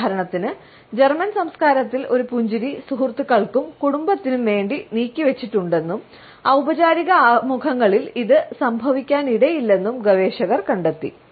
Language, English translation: Malayalam, For example, researchers have found out that in German culture a smiling is reserved for friends and family and may not occur during formal introductions